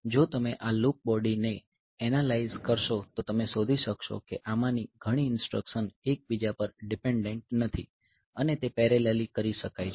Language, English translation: Gujarati, So, if you analyse this loop body you may find that many of this instruction they are not dependent on each other and they can be done parallelly